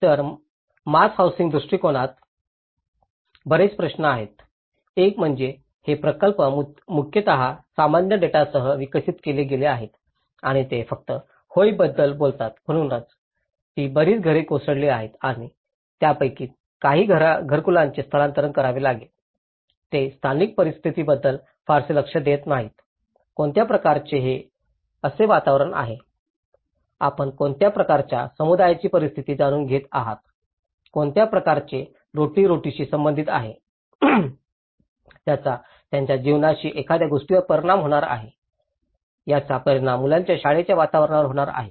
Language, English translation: Marathi, Whereas, in mass housing approach, there are many issues; one is these projects are mainly developed with a general data and because they only talk about yes, this many houses have been collapse and this many some households has to be relocated, they don’t give much regard to the local situation, what kind of environment it is, what kind of the you know the situation of the community, what kind of livelihood they are related to, is it going to affect something of their livelihood, it is going to affect the children's school environment